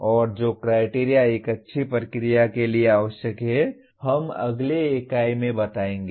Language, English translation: Hindi, And the criteria that are required to have a good procedure we will state in the next unit